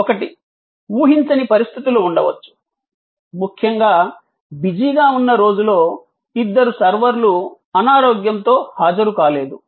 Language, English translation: Telugu, One is that, there can be unforeseen circumstances, may be on a particular busy day two servers are sick and absent